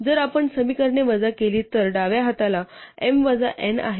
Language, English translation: Marathi, So if we subtract the equations then the left hand side is m minus n